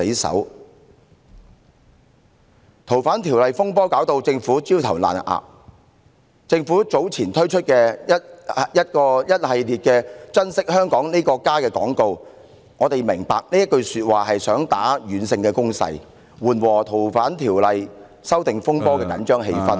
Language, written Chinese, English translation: Cantonese, 修例風波令政府焦頭爛額，因此在早前推出一系列"珍惜香港這個家"的廣告，我們明白其背後用意，是想作出軟性攻勢，緩和修例風波導致的緊張氣氛......, Disturbances arising from the opposition to the proposed legislative amendments have badly tarnished the Government . Therefore a series of television announcements Treasure Hong Kong our home were released earlier . We know that the Government intends to relieve the tension brought about by the said disturbances with soft selling techniques